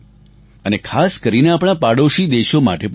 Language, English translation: Gujarati, And very specially to our neighbouring countries